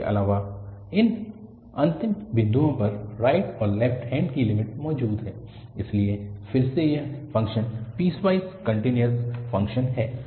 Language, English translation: Hindi, Also, at these end points the right and the left handed limits exist, so again this function is piecewise continuous function